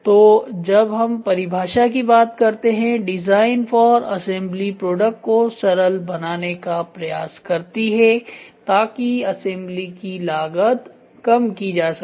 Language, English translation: Hindi, So, when we talk about the definition design for assembly seeks to simplify the product so, that the cost of assembly is reduced